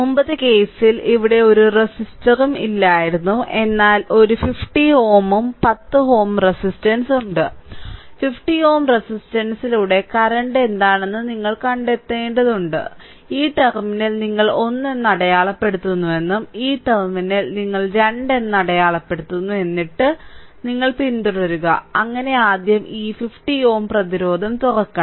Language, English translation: Malayalam, Previous case there was no there was no resistor here, but one 50 ohm 10 ohm resistance is there and you have to find out that what is the current through the 50 ohm resistance say this terminal you mark at 1 and this terminal you mark at 2 right and then, you follow and so, first is we have to open this resistance 50 ohm resistance